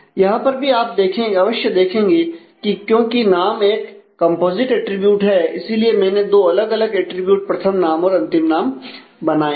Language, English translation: Hindi, So, here also you may you may just note that since name is stated to be a composite attribute I have designed here to use two different attributes the first name and the last name